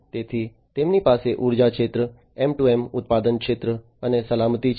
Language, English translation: Gujarati, So, they have the energy sector, M2M, manufacturing sector, and safety